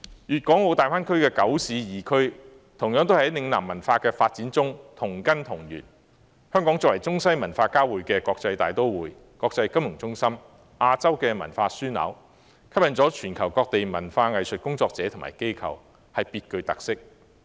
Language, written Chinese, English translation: Cantonese, 粵港澳大灣區的九市二區同樣在嶺南文化的發展中同根同源，香港作為中西文化交匯的國際大都會、國際金融中心、亞洲文化樞紐，吸引全球各地文化藝術工作者和機構，別具特色。, The nine municipalities and two special administrative regions in the Greater Bay Area share the same root of Lingnan culture development . As a cosmopolitan city where Chinese and Western cultures meet an international financial centre and an Asian cultural hub Hong Kong attracts arts and cultural practitioners and organizations from all over the world to shape its unique characteristics